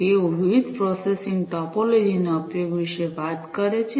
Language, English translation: Gujarati, they talk about the use of different processing topologies